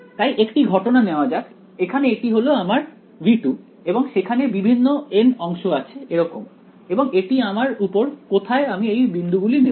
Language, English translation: Bengali, So, supposing let us take one case over here this is my V 2 and there are various n segments over here or like this and it is up to me where I choose this points can I choose these